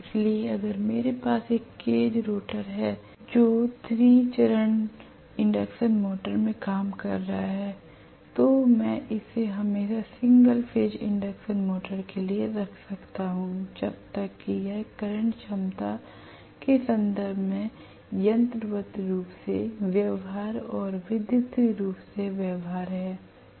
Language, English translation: Hindi, So if I have a cage rotor which is working in 3 phase induction motor I can always fix it for a single phase induction motor as long as it is mechanically feasible and electrically feasible in terms of the current capacity